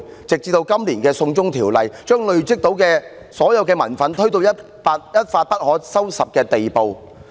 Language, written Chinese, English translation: Cantonese, 直至今年提出就《逃犯條例》作出修訂，把累積的民憤推到一發不可收拾的地步。, This year the proposed amendments to the Fugitive Offenders Ordinance triggered the anger rooted in the community to explode